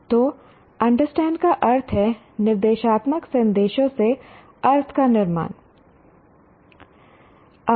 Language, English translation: Hindi, Understanding is constructing meaning from instructional messages